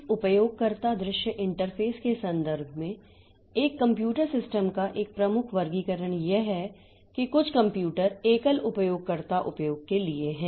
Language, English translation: Hindi, A major classification of a computer system in terms of this user view interface is that some computers they are for single user usage